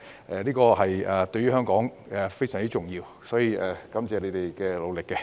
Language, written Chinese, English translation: Cantonese, 然而，《條例草案》對於香港非常重要，因此，我很感謝他們的努力。, However the Bill is very important to Hong Kong so I am very thankful for their efforts